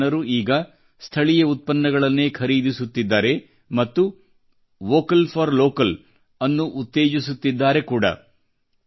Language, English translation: Kannada, These people are now buying only these local products, promoting "Vocal for Local"